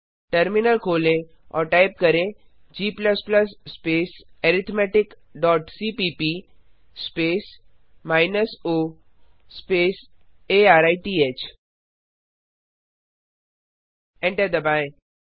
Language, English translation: Hindi, To compile, typegcc space arithmetic dot c minus o space arith